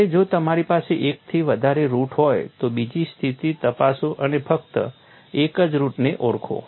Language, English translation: Gujarati, So, if you have multiple roots, check the second condition and identify only one root